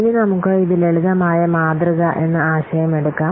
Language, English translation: Malayalam, Now, let's take this the concept of simplistic model